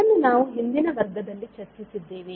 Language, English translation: Kannada, So, this we discussed the previous class